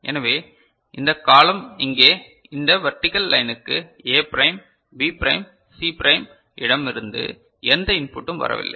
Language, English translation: Tamil, So, this column over here, this vertical line is not getting any input from A prime B prime C prime like